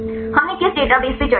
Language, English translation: Hindi, Which database we discussed